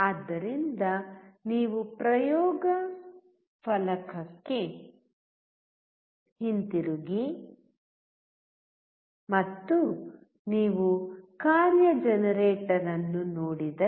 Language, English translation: Kannada, So, if you come back to the experiment board and you see the function generator